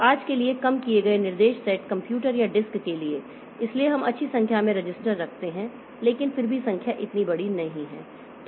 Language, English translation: Hindi, So, for today for the reduced instruction set computers or risk, so we keep a good number of registers but still the numbers are not that big